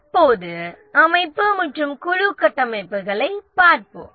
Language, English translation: Tamil, Now let's look at the organization and team structures